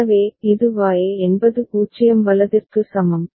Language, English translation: Tamil, So, it is Y is equal to 0 right